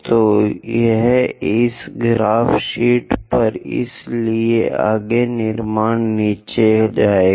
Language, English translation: Hindi, So, so this is, on this graph sheet, so go ahead construct all the way down